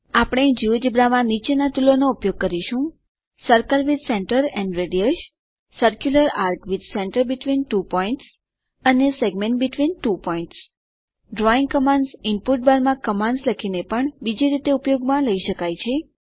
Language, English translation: Gujarati, We will use the following tools in Geogebra Circle with center and radius, circular arc with centre between two points and segment between two points The drawing commands can be used in another way by typing commands in the input bar as well